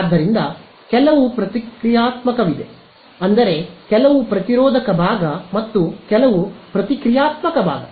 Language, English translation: Kannada, So, there is some reactive I mean some resistive part and some reactive part ok